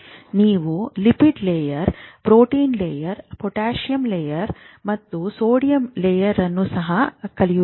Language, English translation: Kannada, Now you remember I told you a lipid layer, protein layer, potassium channel, sodium channel